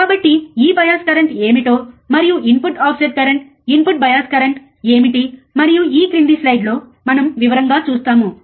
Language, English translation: Telugu, So, we will see in detail what exactly this bias current and what are the input offset current input bias current and so on and so forth in the in the following slides